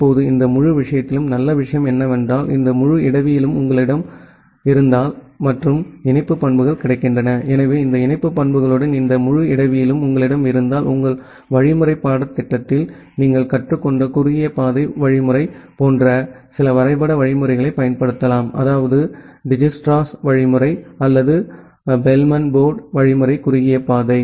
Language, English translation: Tamil, Now, in this entire thing the good thing is that if you have this entire topology available and the link characteristics available; so if you have this whole topology available along with this link characteristics available, then possibly you can apply certain graph algorithm like the shortest path algorithm that you have learnt in your algorithm course, like that Dijkstra’s algorithm or Bellman Ford algorithm to find out the shortest path